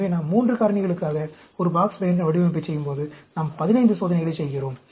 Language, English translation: Tamil, So, when we are doing a Box Behnken Design for 3 factors, we do 15 experiments